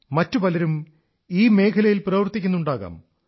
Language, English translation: Malayalam, Many more such people must be working in this field